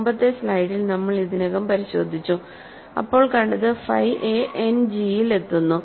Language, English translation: Malayalam, We have already checked in the previous slide that phi a lands in End G